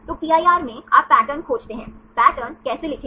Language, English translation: Hindi, So, in PIR, you search for patterns; how to write a pattern